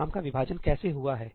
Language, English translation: Hindi, How is the work divided